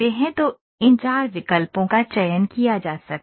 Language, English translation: Hindi, So, these four options can be selected